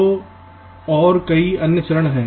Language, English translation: Hindi, ok, so, and there are many other step